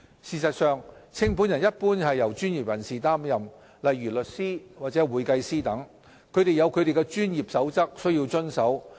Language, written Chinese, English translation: Cantonese, 事實上，清盤人一般由專業人士擔任，例如律師或會計師等，他們有其專業守則須遵守。, In fact liquidators are generally professionals such as lawyers or accountants . They must comply with their respective professional codes of practice